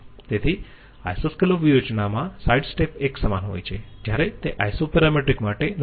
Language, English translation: Gujarati, So the sides steps in Isoscallop strategy are equal while it is not so for Isoparametric